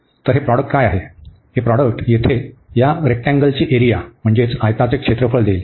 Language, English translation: Marathi, So, what is this product, this product will give the area of this rectangle here